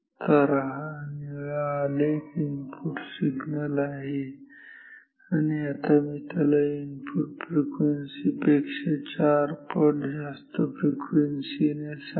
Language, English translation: Marathi, So, this blue curve is the sample is the input signal and now I will sample it at say 4 times of these input frequency ok